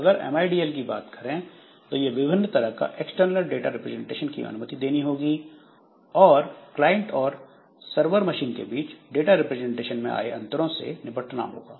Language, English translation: Hindi, L, so it will allow to have different types of external data representation and must be dealt with concerns differences in data representation on the client and server machine